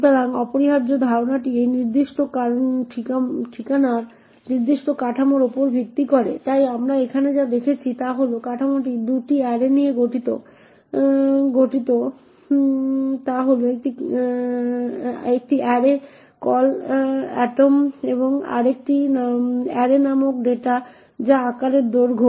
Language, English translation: Bengali, So, the essential idea is based on this particular structure, so what we see over here is that this structure comprises of 2 arrays one is an array call atom and another array called data which is of size length